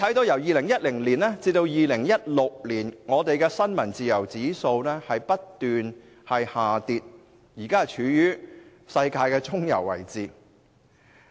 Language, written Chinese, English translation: Cantonese, 由2010年至2016年，本港的新聞自由指數不斷下跌，現正處於世界的中游位置。, Hong Kongs index of press freedom kept declining from 2010 to 2016 and is now ranked in the middling position of the world